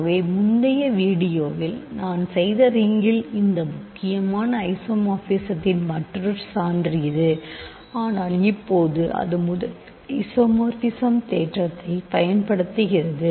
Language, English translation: Tamil, So, this is another proof of this important isomorphism of rings that I did in an earlier video ok, but now it uses the first isomorphism theorem